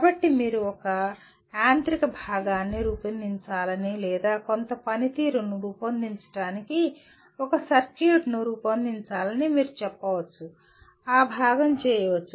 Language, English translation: Telugu, So you can say a mechanical component should be designed or a circuit that can be designed to perform some function, that part can be done